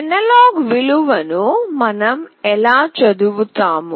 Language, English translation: Telugu, How do we read the analog value